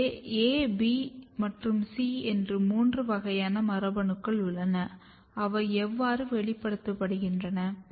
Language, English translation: Tamil, So, there are three classes of genes A, B and C and how they express